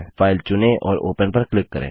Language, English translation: Hindi, Select the file and click on Open